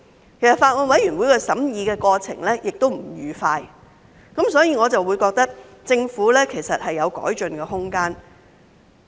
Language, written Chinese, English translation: Cantonese, 事實上，法案委員會的審議過程亦不愉快，所以我認為政府有改進的空間。, In fact the Bills Committee has gone through a painful scrutiny process and I think there is room for improvement on the part of the Government